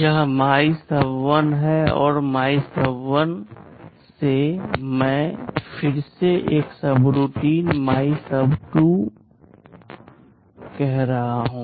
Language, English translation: Hindi, This is the body of MYSUB1 and from MYSUB1, I am again calling another subroutine MYSUB2